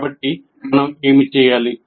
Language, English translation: Telugu, So what should we do